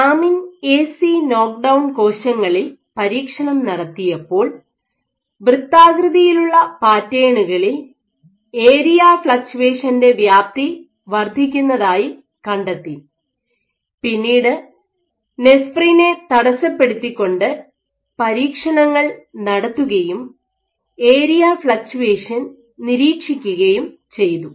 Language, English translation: Malayalam, So, they then experiment with lamin A/C knock down cells also found that with this on the circular patterns the extent of area fluctuation increased, increased then did experiments by perturbing Nesprin and still they observed area fluctuations